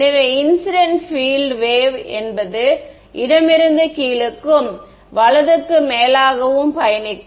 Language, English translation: Tamil, So, what is the incident field, incident field is a wave travelling from bottom left to top right